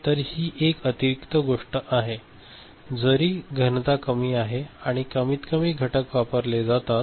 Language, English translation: Marathi, So, this is an additional thing though the density is more less number, least number of parts are used